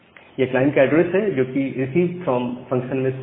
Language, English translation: Hindi, So, this is the client address which is clear in the receive form function